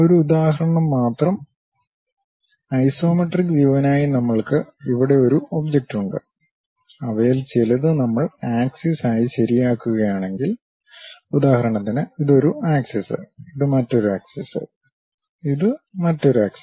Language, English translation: Malayalam, Just an example, we have an object here for isometric view; if we are fixing some of them as axis, for example, this is one axis, this is another axis, this is another axis